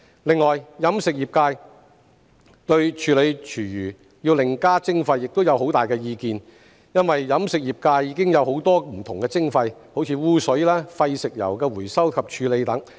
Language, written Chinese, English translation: Cantonese, 另外，飲食業界對處理廚餘要另加徵費亦有很大意見，因為飲食業界已有很多不同的徵費，如污水、廢食油的回收及處理等。, This is indeed a benevolent policy . In addition the catering trade has strong views about an extra levy for food waste treatment because it is already subject to many different levies such as those for sewage and the recycling and treatment of used cooking oil